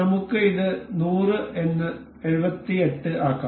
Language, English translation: Malayalam, Let us make it 100 say 78